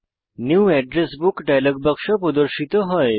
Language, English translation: Bengali, The New Address Book dialog box appears